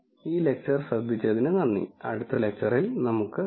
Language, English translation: Malayalam, Thank you for listening to this lecture and I will see you in the next lecture